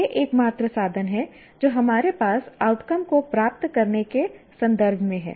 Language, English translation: Hindi, These are the only means that we have in terms of attaining the outcomes